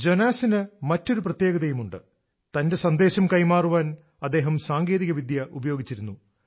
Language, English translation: Malayalam, Jonas has another specialty he is using technology to propagate his message